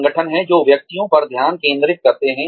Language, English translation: Hindi, There are organizations, that focus on individuals